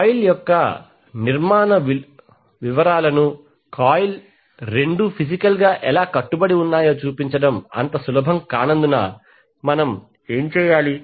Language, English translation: Telugu, Now since it is not easy to show the construction detail of the coil that means how both of the coil are physically bound, what we do